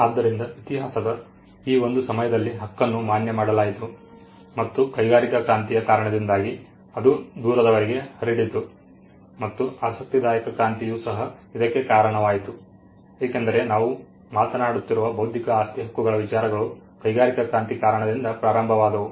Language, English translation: Kannada, So, that was a point in history where the right became recognized and because of the industrial revolution it spread far and wide and the interesting revolution also contributed to it because, all the things that we were talking about intellectual property Rights or first emanated in the industrial revolution